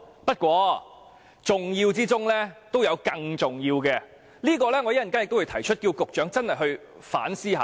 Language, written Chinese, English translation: Cantonese, 不過，重要之中都有更重要的，我稍後會提出請局長反思一下。, Though every item is important some may be more important . I will ask the Secretary to reflect on this later